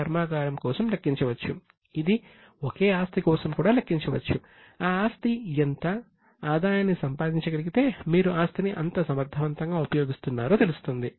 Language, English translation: Telugu, If that asset is able to generate the revenue, just see how efficiently you are using the asset